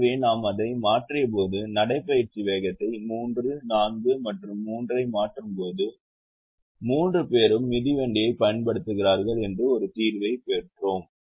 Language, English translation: Tamil, so when we change little, we observe that the when we change the walking speed three, four and three we got a solution where all the three people are using the bicycle